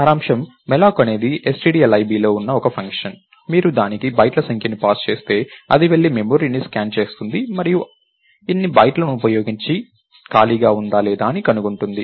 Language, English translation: Telugu, So, again in summary malloc is a function which is in stdlib, if you pass the number of bytes to it, it will go and scan the memory and find out if there is an unused space of so many bytes